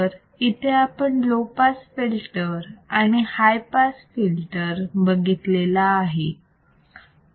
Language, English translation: Marathi, So, we have seen low pass filter and high pass filter